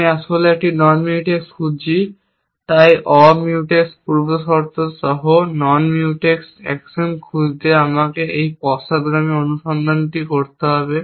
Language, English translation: Bengali, I am looking for non Mutex actually, so I need to do this backward search looking for non Mutex actions with non Mutex preconditions